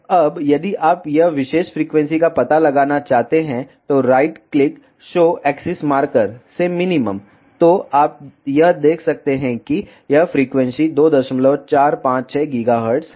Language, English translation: Hindi, Now, if you want to locate this particular frequency right click show axis marker to minimum you see this frequency is 2